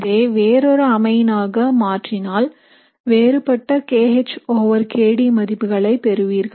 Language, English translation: Tamil, If you change it to another amine, you will get a different kH over kD value